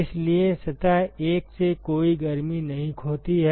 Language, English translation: Hindi, So, there is no heat that is lost from surface 1 and nothing is added to surface 1